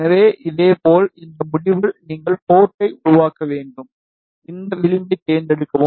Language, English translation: Tamil, So, in the similar way, you need to create the port at this end, select this edge